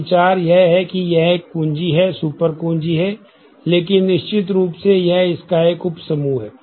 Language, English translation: Hindi, So, the idea is like this that this is a key, super key, this is also a super key, but certainly this is a subset of this